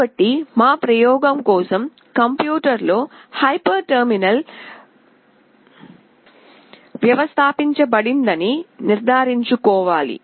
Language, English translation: Telugu, So for our experiment, it is required to ensure that there is a hyper terminal installed in the computer